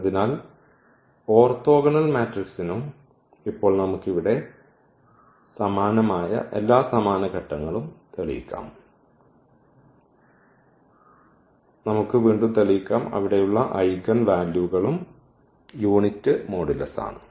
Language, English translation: Malayalam, So, for orthogonal matrices also now we can prove thus the similar all absolutely all same steps here and we can again prove the there eigenvalues are also of unit modulus